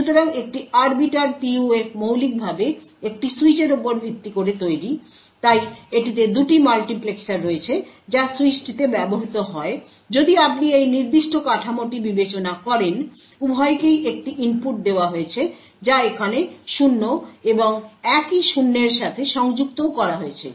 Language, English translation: Bengali, So an Arbiter PUF fundamentally is based on a switch, so it has 2 multiplexers which is used in the switch if you consider this particular figure, both are given the same input that is 0 over here and the same 0 is connected to this as well